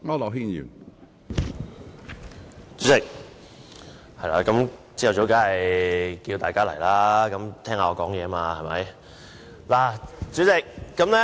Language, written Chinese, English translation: Cantonese, 主席，早上當然要叫喚大家回來聽我發言了。, President in the morning I certainly have to summon Members back to the Chamber to listen to my speech